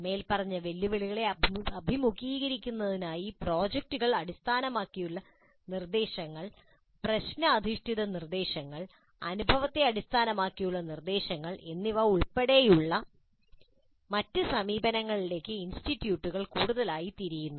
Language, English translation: Malayalam, Increasingly institutes are turning to other approaches including project based instruction, problem based instruction, experience based instruction to address the above mentioned challenges